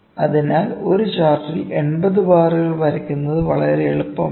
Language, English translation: Malayalam, So, it is not very legitimate to draw 80 bars in 1 chart